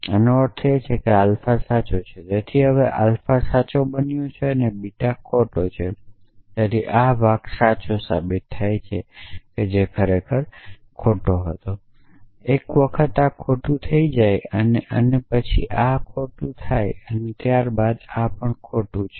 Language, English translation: Gujarati, So, this mean that alpha is true, so now, alpha is become true and beta is become false, so this part becomes true implies false which is actually false, once this becomes false this and this becomes false and once this and this become false, this becomes true